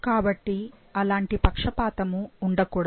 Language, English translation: Telugu, So, not such biasness should be there